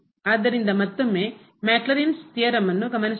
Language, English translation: Kannada, So, here again we note that this is the Maclaurin’s theorem